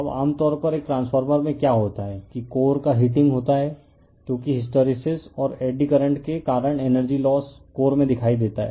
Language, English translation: Hindi, Now, generally what happened in a transformer that heating of the core happens because of your what you call that energy losses due to your hysteresis and eddy currents right shows in the core